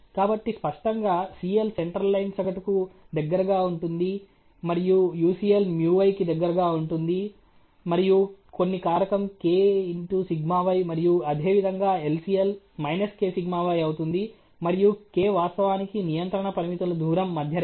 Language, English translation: Telugu, So obviously, the CL the center line would be about the mean and UCL would be about µy plus some factor k times of σy and the LCL similarly would be minus k σy on the µy, and k is actually the distance of the control limits from the center line